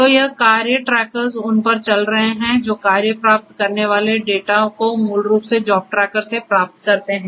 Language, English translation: Hindi, So, this task trackers are running on them, receiving the data receiving the tasks basically from the job tracker